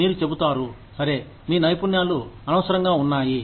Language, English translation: Telugu, You will say, okay, your skills are redundant